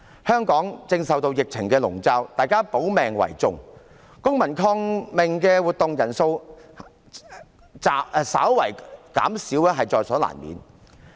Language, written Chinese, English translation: Cantonese, 香港正受疫情籠罩，大家保命為重，公民抗命的活動人數稍為減少，在所難免。, Hong Kong is currently shrouded by the epidemic . With greater attention attached to health protection a slight reduction in the number of participants in civil disobedience is inevitable